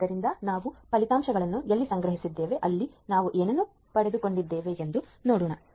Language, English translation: Kannada, So, where we have stored the results let us see what we have obtained